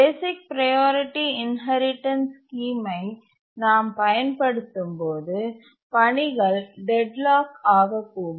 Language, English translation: Tamil, So when we use the basic priority inheritance scheme, the tasks may get deadlocked